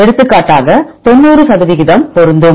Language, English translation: Tamil, For example, we have the matching about ninety percent